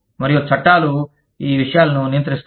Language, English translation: Telugu, And, laws govern these things